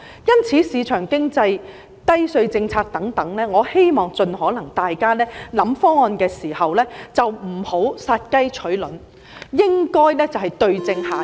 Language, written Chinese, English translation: Cantonese, 因此，有鑒於市場經濟、低稅政策等，我希望大家考慮方案時，盡可能不要殺雞取卵，而是應該對症下藥。, For this reason in view of the market economy the low - tax policy etc I hope Members will not kill the goose that lays the golden egg when considering various proposals but should administer the right cure to the illness